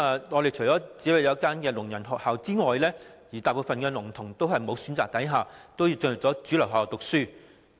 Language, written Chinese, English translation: Cantonese, 我們除了有一間聾人學校外，大部分聾童在無選擇的情況下，只好進入主流學校讀書。, Apart from one school for the deaf most deaf students can only study in mainstream schools as they do not have any choice